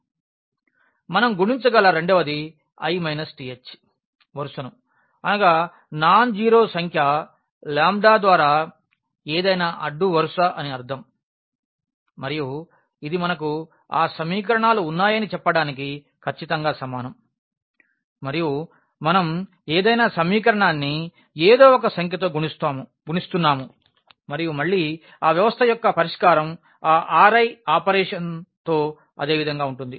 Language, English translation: Telugu, The second one we can multiply the i th row means any row by a nonzero number lambda and this is precisely equivalent to saying that we have those equations and we are multiplying any equation by some number and again that system the solution of the system will remain we remain the same with that operation